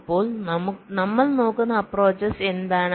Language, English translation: Malayalam, so what is the approach we are looking at